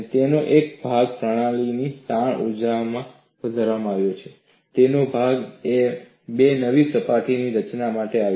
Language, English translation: Gujarati, Part of it went in increasing the strain energy of the system and part of it came for formation of two new surfaces